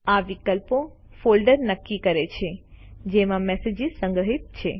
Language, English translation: Gujarati, These options determine the folder in which the messages are archived